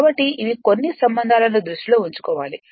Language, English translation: Telugu, So, these are the certain relationship you have to keep it in your mind